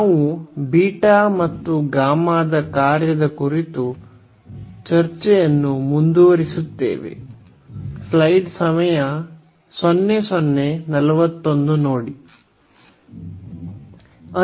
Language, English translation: Kannada, We will continue the discussion on Beta and Gamma Function